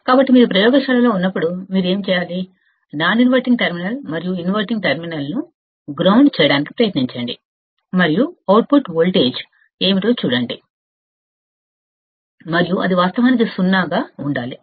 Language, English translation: Telugu, So, what you would should do when you are in the laboratory is, try to ground the non inverting terminal and the inverting terminal, and see what is the output voltage Vo, and ideally it should be 0